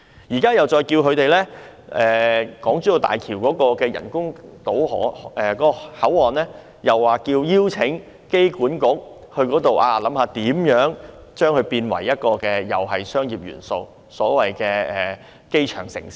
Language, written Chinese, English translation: Cantonese, 機管局亦獲邀就港珠澳大橋香港口岸的發展給予意見，看看如何將其發展成具商業元素的所謂機場城市。, AA was also invited to give advice on the development of the Hong Kong - Zhuhai - Macao Bridge Hong Kong Port to see how it could be developed into a so - called airport city with commercial elements